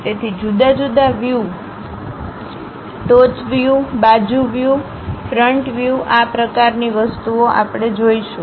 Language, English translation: Gujarati, So, different views, top view, side view, front view these kind of things we will see